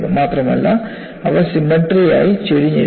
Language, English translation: Malayalam, Not only that, they are tilted symmetrically